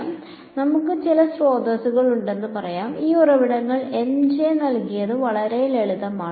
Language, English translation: Malayalam, So, let us say we have some sources, and these sources are given by M and J really simple